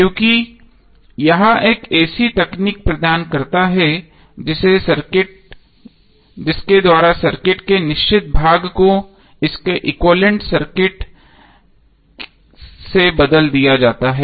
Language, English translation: Hindi, Because it provides a technique by which the fixed part of the circuit is replaced by its equivalent circuit